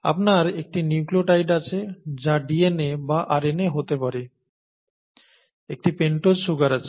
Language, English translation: Bengali, So you have a nucleotide which could be a DNA or a RNA, you have a pentose sugar